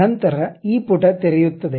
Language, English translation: Kannada, Then this page opens up